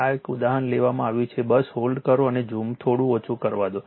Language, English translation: Gujarati, This example one is taken right, just hold on let me reduce the zoom little bit right